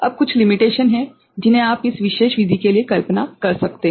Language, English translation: Hindi, Now, there are certain limitations that you can visualize for this particular method ok